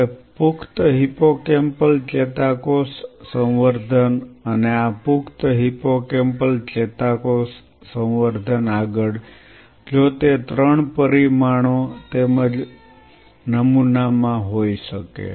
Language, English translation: Gujarati, Now adult hippocampal neuron culture and this adult hippocampal neuron culture further if it could be in three dimensions as well as a pattern